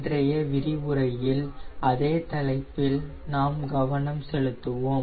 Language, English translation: Tamil, todays lecture we will be focusing on the same topic